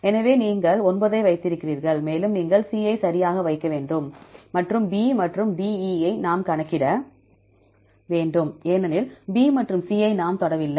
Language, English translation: Tamil, So, here you put the 9 as it is, and you have to put the C right and the B and DE we have to calculate because B and C we do not touch